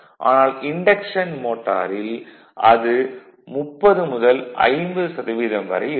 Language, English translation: Tamil, But in induction motor it will be maybe 30 to 50 percent this I 0